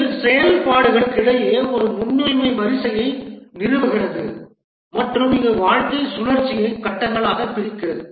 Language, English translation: Tamil, It also establishes a precedence ordering among the activities and it divides the life cycle into phases